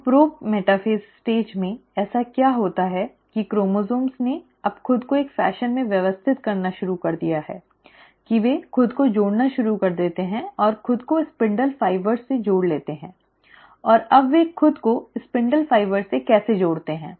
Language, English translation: Hindi, So in the pro metaphase stage, what happens is that the chromosomes have now started arranging themselves in a fashion that they start connecting themselves and attaching themselves to the spindle fibres, and now how do they attach themselves to the spindle fibres